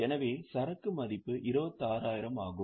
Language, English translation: Tamil, So, inventory will be valued at 26,000